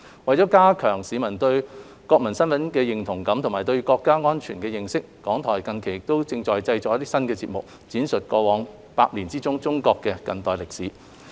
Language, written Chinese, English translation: Cantonese, 為加強市民對國民身份的認同感及對國家安全的認識，港台近期正製作新節目，闡述過去百年的中國近代歷史。, To enhance the publics sense of national identity and their understanding of national security RTHK has recently produced a new programme chronicling the modern history of China over the past 100 years